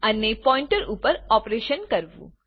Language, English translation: Gujarati, And operations on Pointers